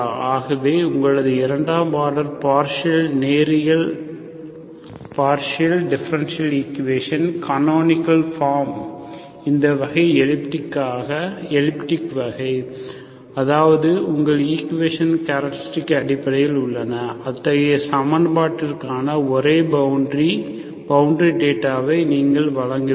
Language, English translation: Tamil, So the canonical form of your second order partial, linear partial differential equation when it becomes this type, elliptic type, that means the characteristics of your equation are basically, so you have to provide the only boundary, boundary data for such an equation so that the problem is well defined